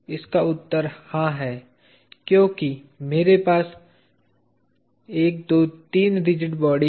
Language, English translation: Hindi, The answer is yes, because I have 1 2 3 rigid bodies